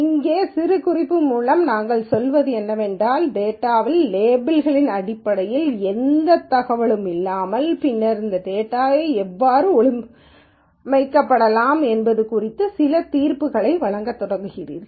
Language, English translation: Tamil, What I mean by annotation here is without any more information in terms of labelling of the data and then start making some judgments about how this data might be organized